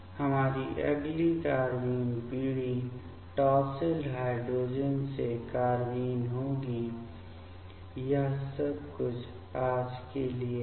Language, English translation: Hindi, Our next carbene generation will be the carbnenes from tosyl hydrazone ok; that is all for today